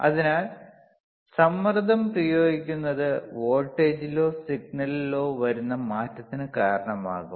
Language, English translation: Malayalam, So, applying pressure will change will cause a change in the change in the voltage or change in the signal ok